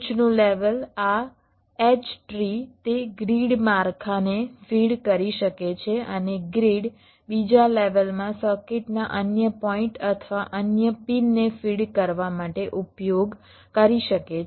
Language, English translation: Gujarati, this h tree can feed that grid structure and the grid can, in the second level, use to feed the other points or other pins of the circuit